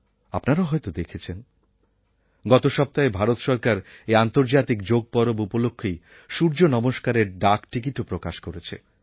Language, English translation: Bengali, You must have seen that last week the Indian government issued a postage stamp on 'Surya Namaskar' on the occasion of International Yoga Day